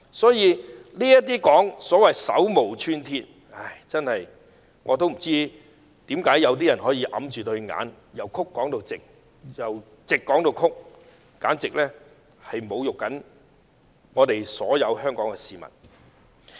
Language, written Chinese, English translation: Cantonese, 所以，有人說這些人手無寸鐵，我不知道為何會有人掩着雙眼，把曲的說成直，把直的說成曲，簡直是侮辱所有香港市民。, Some people say that these rioters were unarmed . I do not know why there are people who look with closed eyes and swear that crooked is straight and black is white . This is an insult to all Hong Kong citizens